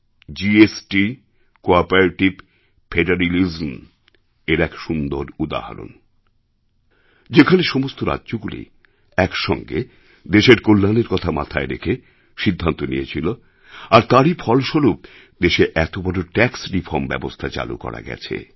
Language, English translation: Bengali, GST is a great example of Cooperative federalism, where all the states decided to take a unanimous decision in the interest of the nation, and then such a huge tax reform could be implemented in the country